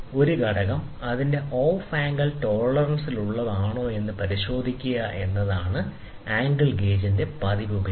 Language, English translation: Malayalam, A frequent use of angle gauge is to check, whether the component is within its off angle tolerance